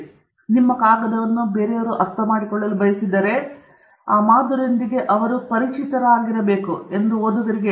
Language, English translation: Kannada, So, that alerts the reader that if they want to understand your paper, they should be familiar with that model